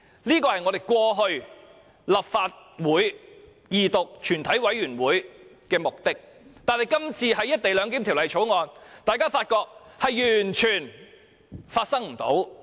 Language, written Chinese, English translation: Cantonese, 這是我們過去的立法會二讀、全體委員會的目的，但今次審議《條例草案》時，大家發覺完全不是這回事。, This has been the objective of the Legislative Councils Second Reading and Committee stage of the whole Council all along . But this time around we find that it is another story when we scrutinize the Bill